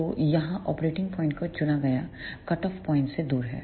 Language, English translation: Hindi, So, here the operating point is chosen away from the cutoff point